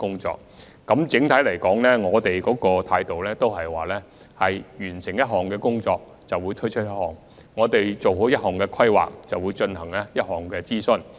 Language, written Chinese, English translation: Cantonese, 整體來說，我們的態度是完成一項工作便推出一項；做好一項規劃便進行一項諮詢。, On the whole our attitude is one of launching a project once it is ready for implementation and undertaking public consultation on a proposal when its planning is completed